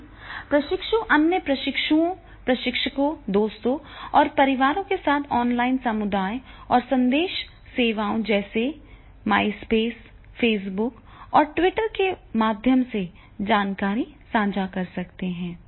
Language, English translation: Hindi, Trainees can share information through connections with other trainees, trainers, friends and family through online communities and message services such as the MySpace, Facebook and the Twitter